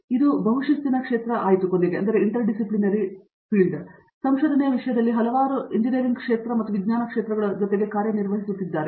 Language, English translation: Kannada, Now, it became highly multidisciplinary where it’s been working with several fields of engineering and sciences in terms of research